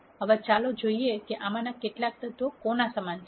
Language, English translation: Gujarati, Now, let us look at what each of these elements are equal to